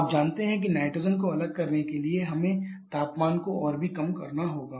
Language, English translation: Hindi, You know to separate nitrogen we have to lower the temperature even further